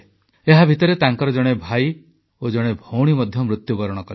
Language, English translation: Odia, Meanwhile, one of his brothers and a sister also died